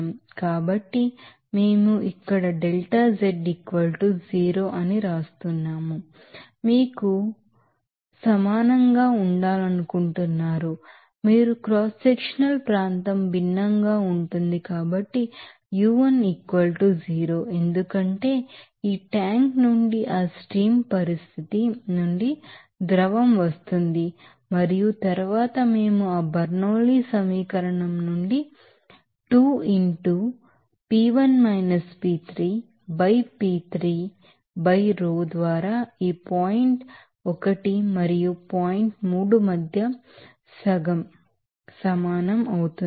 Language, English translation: Telugu, So, we can right here delta z it will be = 0, you want to not be equal to you know that u2 of course, since the cross sectional area is different, but u1 = 0 because the liquid is coming from that stream condition from this tank and then we can calculate u3 as what is that from that Bernoulli’s equation as 2 into what is that P1 P3 by P3 by rho between this point 1 and 3 then it will be equal to what half